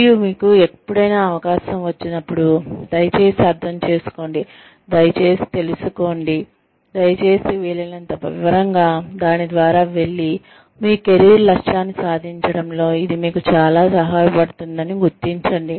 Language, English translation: Telugu, And anytime, you come across an opportunity, please understand, please be aware, please go through it, in as much detail as possible, and identify, how this is going to help you achieve, your career objective